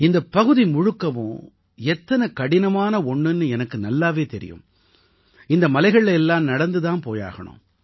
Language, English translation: Tamil, And I know how difficult the entire area is, along with trudging through the hills